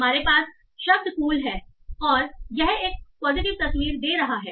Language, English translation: Hindi, You have the word, like cool here, and this gives a positive picture